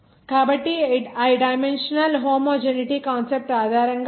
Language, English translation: Telugu, So based on that dimensional homogeneity concept